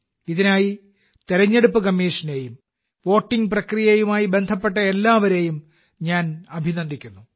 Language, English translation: Malayalam, For this, I congratulate the Election Commission and everyone involved in the voting process